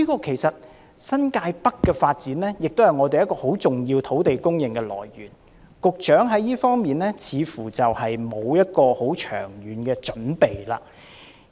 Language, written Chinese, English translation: Cantonese, 其實，新界北的發展也是很重要的土地供應來源，局長在這方面卻似乎沒有很長遠的準備。, Actually the development of North East New Territories is also an important source of land supply but yet it looks as though the Secretary has made no long - term preparation in this regard